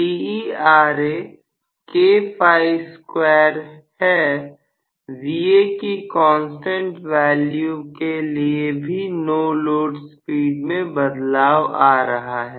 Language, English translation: Hindi, So, you are going to have even for a constant value of Va the no load speed is also changed